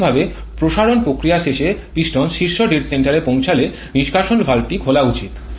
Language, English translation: Bengali, Theoretically the exhaust valve should open when the piston reaches the top dead center at the end of expansion process